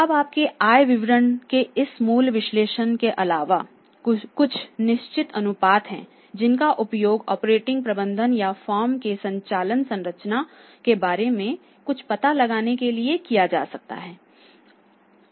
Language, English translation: Hindi, Now apart from your this basic analysis of the income statement there are certain ratios also that which we can use and we can quickly try to find out something about the operating management of the operating structure of the firm